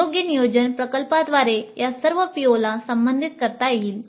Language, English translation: Marathi, With proper planning, projects can address all these POs